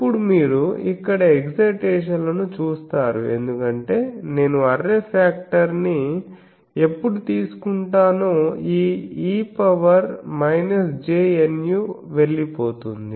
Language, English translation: Telugu, Now this you see the excitations here because when I will take the array factor this factor will go